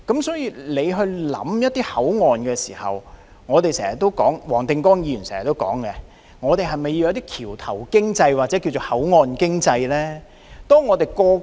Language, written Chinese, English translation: Cantonese, 所以，當局考慮一個口岸的發展之時，正如黃定光議員經常說，還需要發展橋頭經濟或所謂口岸經濟。, So when the authorities think about the development of a boundary crossing just as what Mr WONG Ting - kwong often says it is also necessary to develop bridgehead economy or what is referred to as port economy